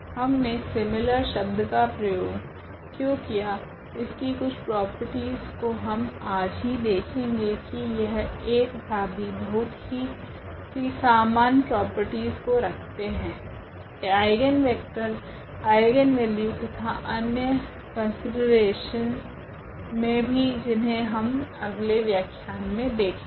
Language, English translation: Hindi, Why do we use the similar words some of the properties we will check today itself, that they share away many common properties this B and A in terms of the eigenvalues, eigenvectors and there are other considerations as well which we will continue in the next lecture